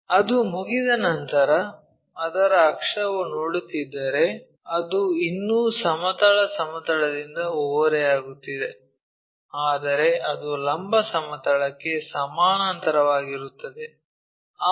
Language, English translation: Kannada, Once it is done, its axis if we are seeing that is still making an inclination with a horizontal plane, but it is parallel to vertical plane